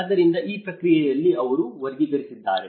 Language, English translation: Kannada, So, in that process they have classified